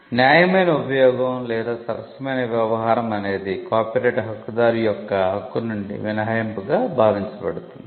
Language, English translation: Telugu, So, fair use or fair dealing is something that is seen as an exception to the right of the copyright holder